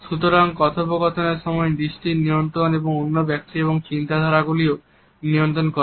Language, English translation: Bengali, So, controlling eyes during the dialogue also controls the thought patterns of the other person